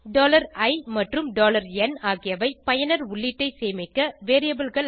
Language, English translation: Tamil, $i and $n are variables to store user input